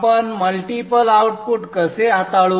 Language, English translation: Marathi, How do we handle multiple outputs